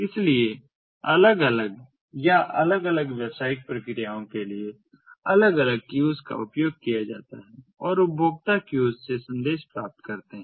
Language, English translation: Hindi, so different, separate queues are used for different ah or separate business processes and the consumers receive the messages from the queues